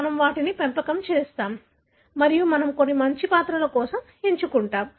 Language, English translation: Telugu, We breed them and we have selected for some good characters